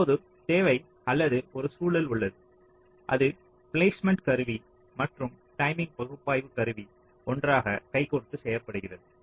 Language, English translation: Tamil, so you now require, or you now have, an environment where the placement tool and the timing analysis tool are working hand in hand